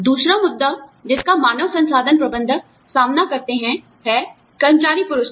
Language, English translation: Hindi, The other issue, that HR managers deal with, is employee rewards